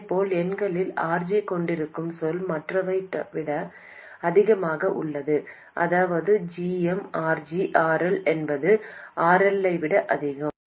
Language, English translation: Tamil, And similarly in the numerator, let's say that the term containing RG is much more than the others, that is J M, RG RL is much more than RL